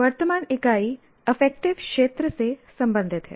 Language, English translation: Hindi, In the present unit is related to affective domain